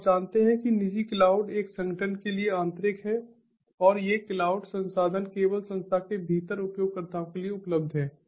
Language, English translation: Hindi, so you know, private cloud is internal to an organization and these cloud resources are made available to the users within the institution only